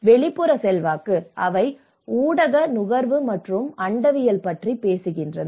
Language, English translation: Tamil, And external influence; they talk about the media consumption and cosmopolitaness